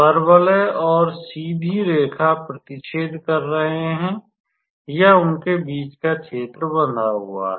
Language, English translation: Hindi, Now,since the parabola and the straight line, they are intersecting or the area is bounded between them